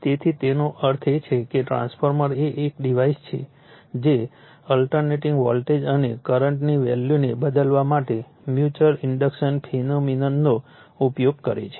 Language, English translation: Gujarati, So, that means, therefore, the transformer is a device which uses the phenomenon of mutual inductance mutual induction to change the values of alternating voltage and current right